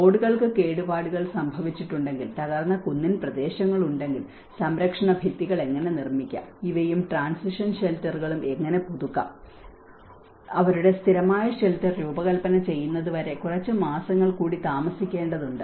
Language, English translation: Malayalam, If there are roads damaged, if there are hilly terrains which were damaged, so how to build retaining walls, how to renew these things and the transition shelters and because they need to stay for some more months until their permanent shelter is designed